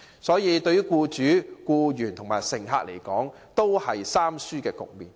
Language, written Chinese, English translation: Cantonese, 這對僱主、僱員和乘客，都是"三輸"的局面。, This is an all - lose situation to employers employees and passengers